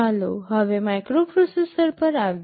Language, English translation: Gujarati, Let us now come to a microprocessor